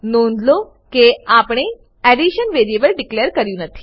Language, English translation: Gujarati, Notice, we havent declared the variable addition